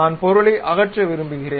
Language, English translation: Tamil, I want to remove the material